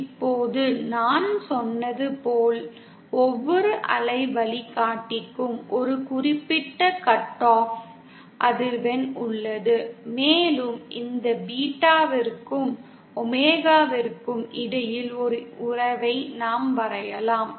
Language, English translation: Tamil, Now, if we as I said, there is a certain cut off frequency for each waveguide, and if we draw a relationship between this beta and omega